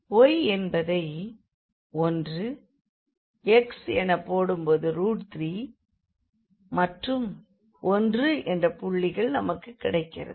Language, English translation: Tamil, So, y if we put 1, x you will get as a square root 3 and 1 that is the point here